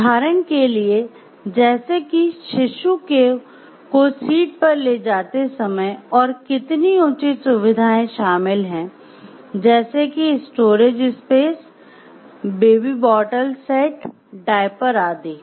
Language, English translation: Hindi, For example like when carrying the infant on the seat and how many convenience features to include such as storage spaces or baby bottle set, diapers